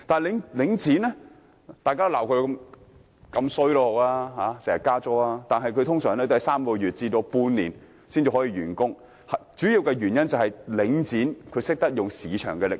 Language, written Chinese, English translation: Cantonese, 雖然市民經常批評領展頻頻加租，但其工程通常只需3個月至半年時間便可完成，主要原因是領展懂得運用市場力量。, Although people often criticize Link REIT for its frequent increase in rent its works are often completed in only three months to half a year . The main reason is that Link REIT knows how to use market forces